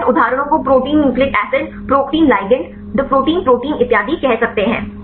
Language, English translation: Hindi, You can see various examples say protein nucleic acid, protein ligand the Protein protein and so on